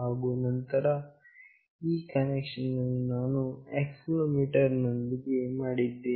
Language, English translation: Kannada, And this is the connection I have made with this accelerometer